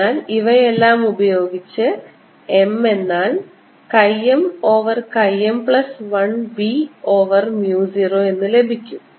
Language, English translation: Malayalam, and this gives me chi m plus one m equals chi m b over mu zero, or m is equal to chi m over chi m plus one b over mu zero